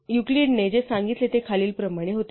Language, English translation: Marathi, So what Euclid said was the following